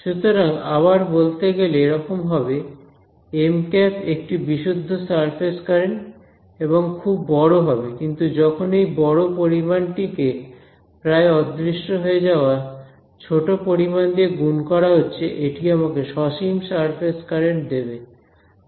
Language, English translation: Bengali, So, to sort of state that again this; M hat if it is a pure surface current is going to be very very large, but this very large quantity multiplied by a vanishingly small quantity is what is going to give me a finite surface current